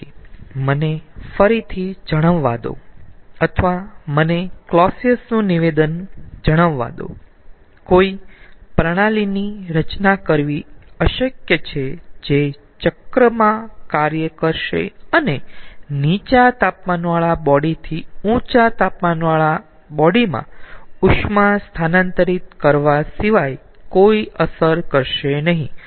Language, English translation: Gujarati, so again, let me state, or let me tell clausius statement: it is impossible to design a system which will operate in a cycle and will produce no effect other than transferring heat from a low temperature body to a high temperature body